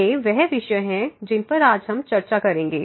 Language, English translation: Hindi, So, these are the topics we will be covering today